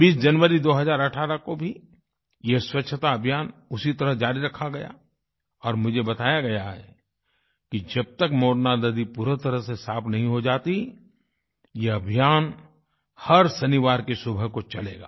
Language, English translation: Hindi, On January 20 th , 2018, this Sanitation Campaign continued in the same vein and I've been told that this campaign will continue every Saturday morning till the Morna river is completely cleaned